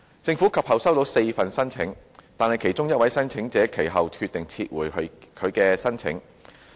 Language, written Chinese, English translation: Cantonese, 政府及後收到4份申請，但其中一位申請者及後決定撤回其有關申請。, Four applications of DAB licences were then received by the Government and one of which was later withdrawn by the applicant